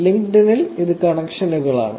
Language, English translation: Malayalam, In LinkedIn it is more likely connections